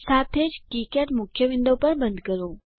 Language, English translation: Gujarati, Also close the KiCad main window